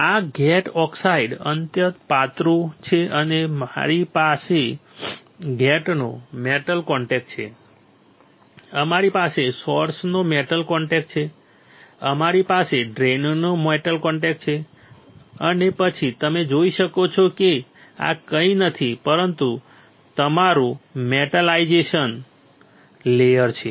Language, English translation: Gujarati, This gate oxide is extremely thin and then we have a metal contact from gate, we have metal contact from source, we have metal contact from drain and then you can see this is nothing, but your metallisation layer